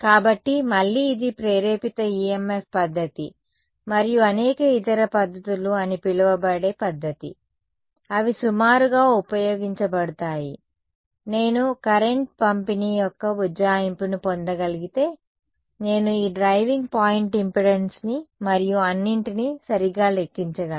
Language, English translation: Telugu, So, again this was method which is called the Induced EMF method and various other methods, they are used to approximate, if I can get an approximation of the current distribution then I can calculate this driving point impedance and all that right